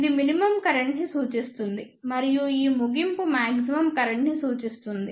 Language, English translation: Telugu, This represents the minimum current and this end represents the maximum current